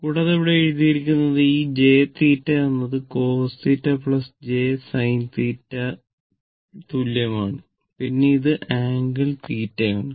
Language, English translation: Malayalam, And it is written here e to the power j theta is equal to cos theta plus ah j sin theta, then one angle theta that is angle theta basically